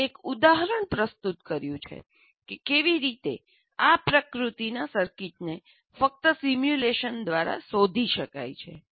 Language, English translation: Gujarati, We're just giving an example how a circuit of this nature can only be explored through simulation